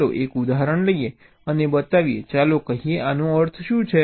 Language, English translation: Gujarati, lets take an example and show, lets say what this means